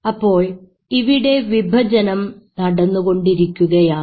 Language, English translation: Malayalam, So, this is the division happening